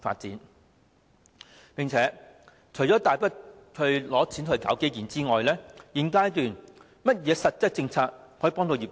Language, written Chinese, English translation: Cantonese, 除了批出大筆撥款搞基建外，在現階段還有甚麼實質政策可以協助業界？, Apart from allocating huge funding for infrastructure does the Government have any concrete policies to help the sector at this stage?